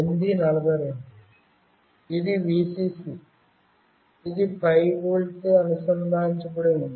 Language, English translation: Telugu, This one is the Vcc, which is connected to 5 volt